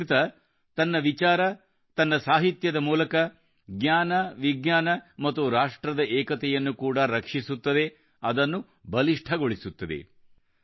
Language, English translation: Kannada, Through its thoughts and medium of literary texts, Sanskrit helps nurture knowledge and also national unity, strengthens it